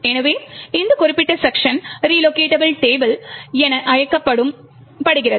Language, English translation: Tamil, So, this particular section is known as the Relocatable Table